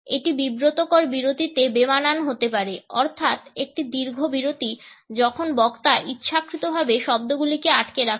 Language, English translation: Bengali, It can be an awkward in embarrassing pause, a lengthy pause when the speaker deliberately holds back the words